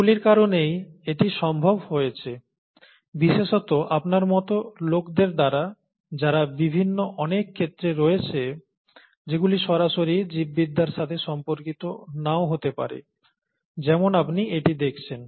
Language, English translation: Bengali, And it is because of these, to make these possible, especially, by people like you who would be in several different fields that may not be directly related to biology as you see it